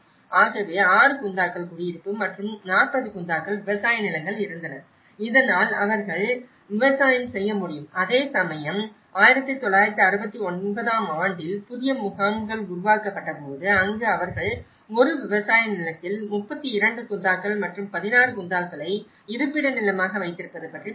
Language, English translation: Tamil, So, there were 6 Gunthas of residential and 40 Gunthas of farmland so that they can do the farming and whereas, in 1969 when the new camps have been formed, so where they talked about 32 Gunthas in a farmland and the 16 Gunthas as a residential land